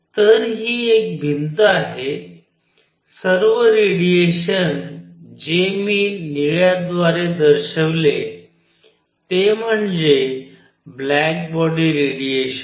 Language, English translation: Marathi, So, this is a wall, all the radiation inside which I will show by blue is black body radiation